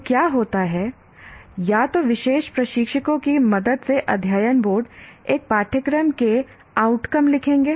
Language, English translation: Hindi, So what happens is either the Board of Studies along with the help of the particular instructors, they will write the outcomes of a course